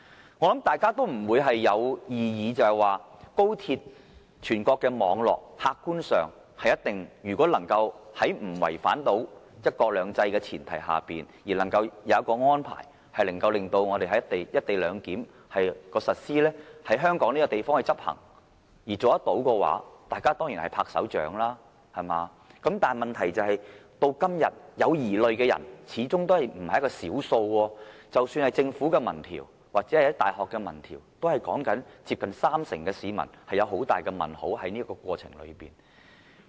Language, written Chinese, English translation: Cantonese, 我想大家不會有異議的是，高鐵這全國的網絡，客觀上如果能在不違反"一國兩制"的前提下而能夠有所安排，令"一地兩檢"可在香港實施、執行，可達成這樣的話，大家一定鼓掌，但問題是，至今仍有疑慮的人始終為數不少，即使是政府的民調或大學的民調也顯示，接近三成市民對這課題持有很大疑問。, I suppose we will probably agree that all of us will certainly give a big applause if we can work out some sort of co - location clearance arrangements which can keep to the premise of one country two systems by any objective standards and which can be implemented in Hong Kong for linkage with the national high - speed rail network . But the problem is that many people are still sceptical of co - location clearance . Even the opinion polls conducted by the Government or universities indicate that almost 30 % of the public remain highly sceptical